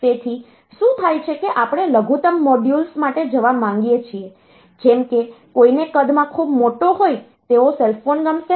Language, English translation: Gujarati, So, what happens is that we want to go for miniaturized modules, like nobody will like a cell phone which is which is quite large in size ok